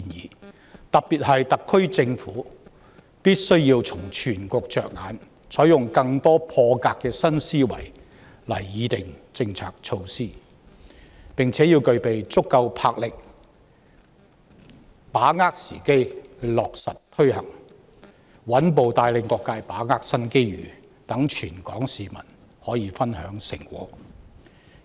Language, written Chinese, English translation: Cantonese, 當中我特別提到特區政府必須要從全局着眼，採用更多破格的新思維來擬訂政策措施，並且要具備足夠魄力把握時機落實推行，穩步帶領各界把握新機遇，讓全港市民可以分享成果。, Among them I especially mentioned that the Special Administrative Region SAR Government must adopt a holistic perspective and more groundbreaking and new thinking to formulate policies and measures while drumming up enough boldness to seize the opportunities of implementing such policies and initiatives so as to steadily lead various sectors to capitalize on the new opportunities and enable all people in Hong Kong to share the fruits